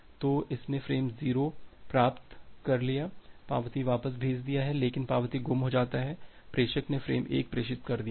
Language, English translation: Hindi, So, it has received frame 0 sent back the acknowledgement, but the acknowledgement is lost then, the sender has transmitted frame 1